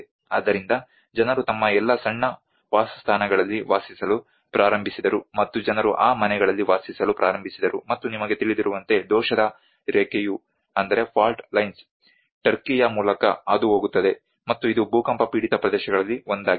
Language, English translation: Kannada, So people started dwelling to their all small dwellings and people started living in those houses and as you know the fault line passes through turkey and it has been one of the earthquake prone area